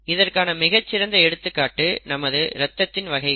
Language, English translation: Tamil, For example, it is a very good example that of blood groups, we all know